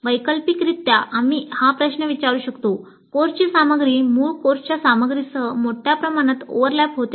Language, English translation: Marathi, Ultimately we could ask the question the course contents overlap substantially with the contents of core courses